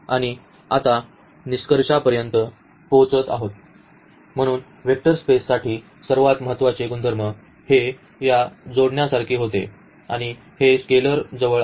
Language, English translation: Marathi, And, now coming to the conclusion, so, for the vector space the most important properties were these additive closer and this the scalar closer here